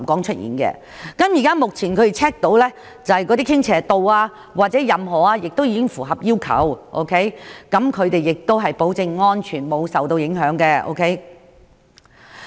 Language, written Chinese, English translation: Cantonese, 他們現時已檢查並確定有關傾斜度或任何指標均已符合要求，保證樓宇安全沒有受到影響。, Having checked and confirmed that the relevant tilting ratios or all such levels can meet the requirements now they guarantee that building safety has not been affected